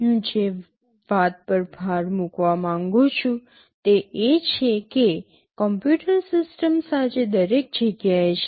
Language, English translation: Gujarati, The first thing I want to emphasize is that computer systems are everywhere today